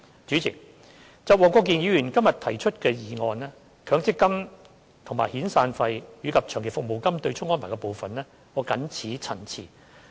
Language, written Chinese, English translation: Cantonese, 主席，就黃國健議員今天所提出的議案中，強積金與遣散費及長期服務金對沖安排的部分，我謹此陳辭。, President with regard to the part on offsetting severance and long service payments against MPF benefits in the motion proposed by Mr WONG Kwok - kin today I shall stop here